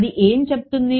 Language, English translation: Telugu, What does it say